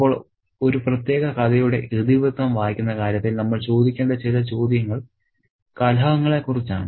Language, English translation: Malayalam, Now, in terms of reading the plotting of a particular story, and some of the questions that we need to ask are about the conflicts